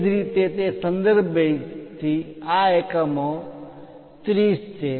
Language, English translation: Gujarati, Similarly, from that reference base this one is at 30 units